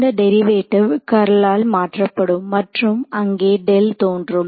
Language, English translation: Tamil, This derivative will be get replaced by curl and I mean the del will appear over there right